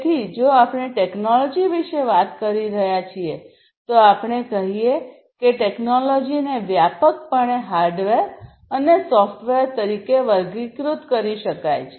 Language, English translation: Gujarati, So, if we are talking about technology we let us say, technology broadly can be classified as hardware and software